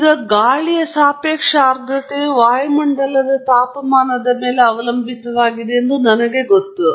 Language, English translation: Kannada, Now, I know that the relative humidity of air is significantly dependent on the temperature atmospheric temperature